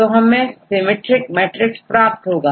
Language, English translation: Hindi, So, we get a symmetric matrix